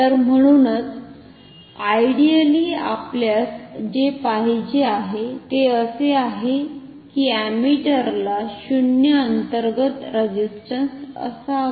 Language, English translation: Marathi, So, therefore, ideally what we would like to have is that the ammeter should have zero internal resistance, zero internal impedance